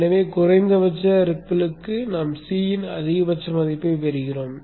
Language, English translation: Tamil, So for the minimum ripple, I will get a higher value of C